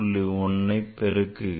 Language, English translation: Tamil, So, it will increase by 1